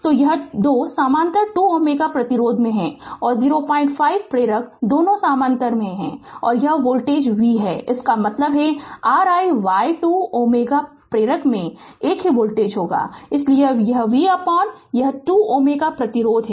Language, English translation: Hindi, 5 ah inductor both are in parallel right and this voltage is say v so that means, R i y will be this same voltage across a 2 ohm resistor, so it is V by this 2 ohm resistance right